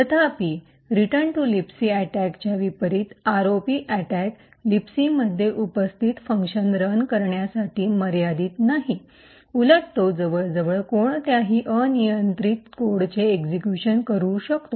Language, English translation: Marathi, However, unlike the return to libc attack the ROP attack is not restricted to execute functions that are present in libc, rather it can execute almost any arbitrary code